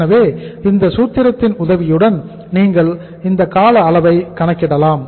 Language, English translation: Tamil, So you can calculate this duration with the help of this formula